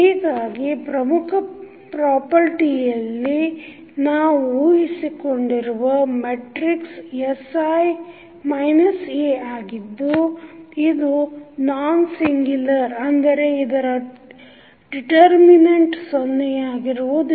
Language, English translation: Kannada, So, the important property which we have to assume here is that the matrix sI minus A is nonsingular means the determent of this particular matrix is not equal to 0